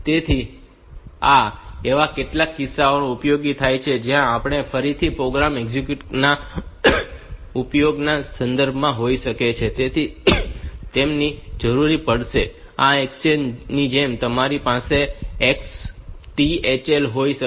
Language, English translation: Gujarati, So, this may be useful in some cases where we are again with respect to use of program execution, so, they may be required and just like this exchange you can have XTHL